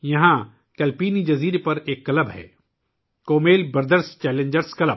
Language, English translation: Urdu, There is a club on Kalpeni Island Kummel Brothers Challengers Club